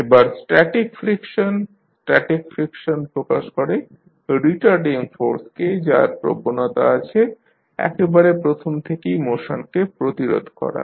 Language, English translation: Bengali, Now, next static friction, static friction represents retarding force that tends to prevent motion from beginning